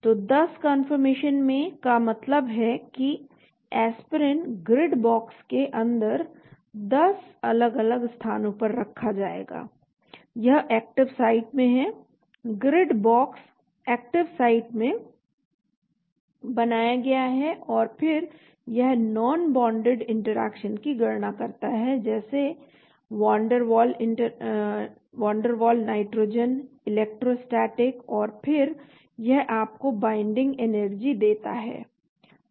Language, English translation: Hindi, So in 10 confirmations means the Aspirin will be placed at 10 different locations inside in the grid box, it is in the active site the Grid box is created in the active site and then it calculates the non bonded interactions, things like Van der Waal nitrogen, electrostatic and then it gives you the binding energy